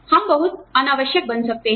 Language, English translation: Hindi, We may become, very redundant